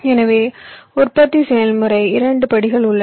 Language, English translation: Tamil, so manufacturing process, as i said, comprises of two steps